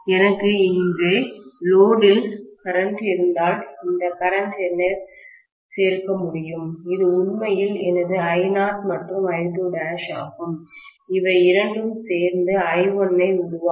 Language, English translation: Tamil, If I have the load current here, then I can add this current which is actually my I naught and this is I2 dash, these two added together will make up for I1